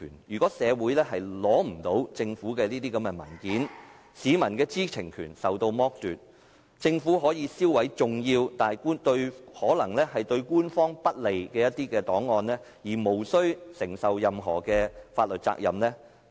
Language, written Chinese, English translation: Cantonese, 如果社會不能取閱政府的文件，市民的知情權將受到剝奪，政府可以銷毀重要但可能對官方不利的一些檔案而無須承擔任何法律責任。, If the community is denied access to government documents the public will be deprived of the right to know and the Government can destroy important records which may be unfavourable to it without having to shoulder any legal responsibility